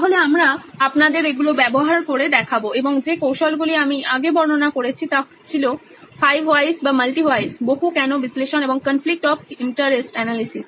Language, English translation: Bengali, So we will show you using these and the techniques that I described earlier which were “5 whys” or” multiple whys”, multi “why” analysis and the conflict of interest analysis